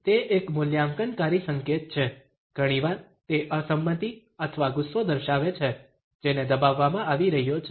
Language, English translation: Gujarati, It is an evaluative gesture, often it shows disagreement or an anger which is being suppressed